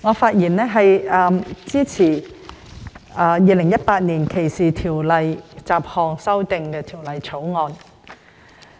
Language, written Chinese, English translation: Cantonese, 主席，我發言支持《2018年歧視法例條例草案》。, President I speak in support of the Discrimination Legislation Bill 2018 the Bill